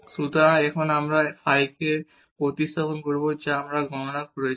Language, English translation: Bengali, So, now we will substitute this phi which we have computed